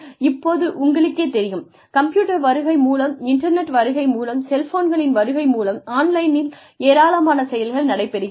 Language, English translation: Tamil, Now, you know, with the advent of computers, with the advent of the internet, with the advent of cell phones, a lot of things are happening online